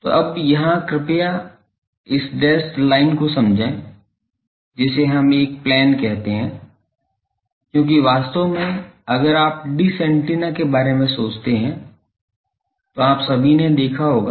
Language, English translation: Hindi, So, now here please understand this dashed line that we that is called a plane because, actually if you think of a dish antenna all of you have seen